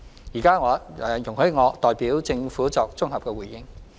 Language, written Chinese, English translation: Cantonese, 現在請容許我代表政府作綜合回應。, With your indulgence I would like to give a consolidated reply on behalf of the Government